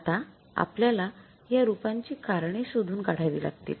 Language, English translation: Marathi, We'll have to find out the reasons for that